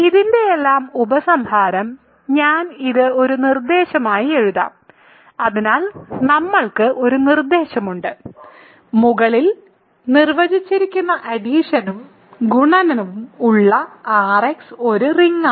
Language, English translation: Malayalam, So, conclusion of all this is I will write this as a proposition; hence we have a proposition: R[x] with the addition and multiplication defined above is a ring ok